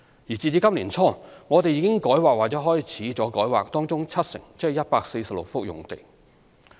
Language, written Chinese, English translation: Cantonese, 截至今年年初，我們已改劃或開始改劃當中七成用地。, As at early this year we have rezoned or commenced the rezoning of 70 % of the sites or 146 sites